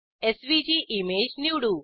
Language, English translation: Marathi, Lets select SVG image